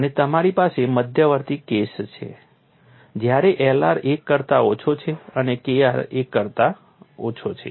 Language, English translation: Gujarati, And you have intermediate case when L r is less than 1 and K r is less than 1